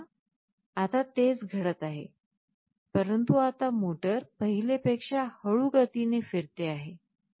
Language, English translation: Marathi, So now, see the same thing is happening, but now the motor is rotating at a much slower speed